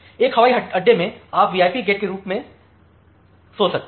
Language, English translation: Hindi, So, in a airport you can think of that as a as the VIP gate